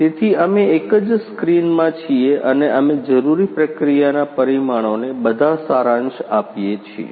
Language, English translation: Gujarati, So, we are in a one screen we summarize the all whatever the required process parameters